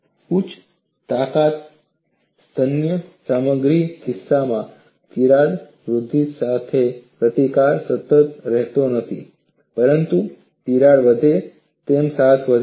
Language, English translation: Gujarati, In the case of high strength ductile materials, resistance to crack growth does not remain constant, but increases as crack grows